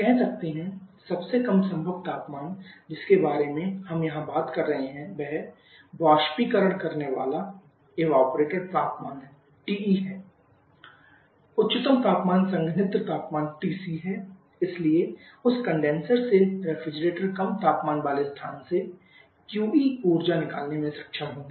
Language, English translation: Hindi, Accordingly, it is able to extract heat from low temperature zone and it is able to extract; let as say the lowest possible temperature that we are talking about here is evaporator temperature TE, the highest temperature is the condenser temperature TC, so from that condenser the refrigerants will be able to extract QE amount of energy